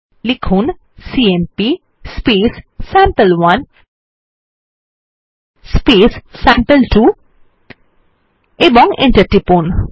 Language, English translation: Bengali, We will write cmp sample1 sample2 and press enter